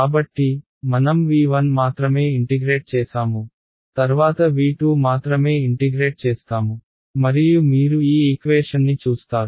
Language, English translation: Telugu, So, we integrated only on v 1, then we will integrate only on v 2 and you can see that this equation that I have right